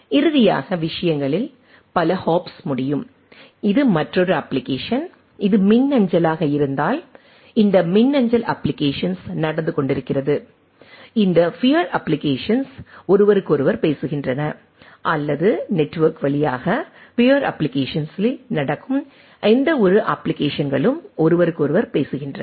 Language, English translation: Tamil, There can multiple hops of the things finally, it is another application that if it is the email, there are this email application going on, this peer applications talks to each other or any applications going on peer applications over the network talks to applications talks to each other